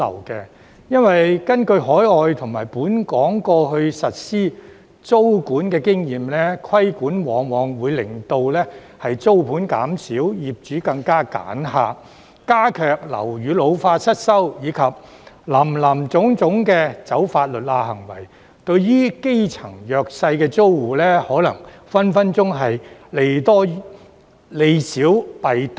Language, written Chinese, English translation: Cantonese, 根據海外和本港過去實施租管的經驗，規管往往會令租盤減少、業主更為"揀客"、樓宇老化失修問題加劇，以致出現林林總總走"法律罅"的行為，對基層弱勢租戶而言，隨時利少弊多。, According to overseas and local experience implementing tenancy control has often led to a reduction in the supply of rental flats making the landlords more selective about their tenants and aggravating the problem of ageing and dilapidation of buildings thus resulting in an array of attempts to exploit legal loopholes . From the perspective of vulnerable grass - roots tenants disadvantages may outweigh advantages